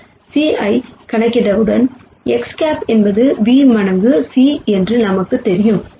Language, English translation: Tamil, Once we calculate this c we know X hat is v times c